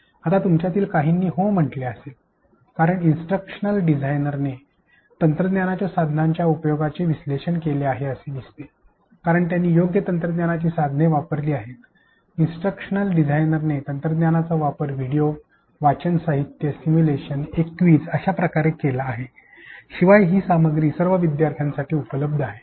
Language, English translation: Marathi, Now, some of you would have said yes because the instructional designer seemed to have conducted the analysis of the technology tool affordances, as it is written that he used appropriate technology tools, the instructional designer also used various different components of learning such as videos, reading material, simulation, a quiz and in addition the content is also accessible to all learners